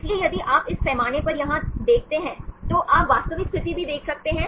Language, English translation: Hindi, So, if you see in this scale here also you can see the real situation